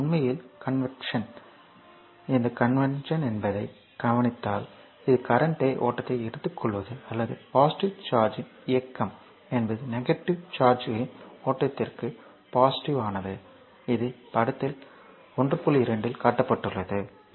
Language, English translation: Tamil, So, this is actually convention therefore, if you look into that the convention is, this is the convention is to take the current flow or the movement of positive charge is that is opposite to the flow of the negative charges as shown in figure this is figure 1